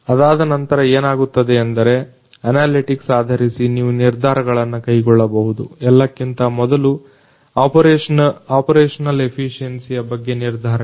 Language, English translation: Kannada, So, thereafter what happens is you can based on analytics, you can make decisions, decisions about the first of all you know we can monitor the operational efficiency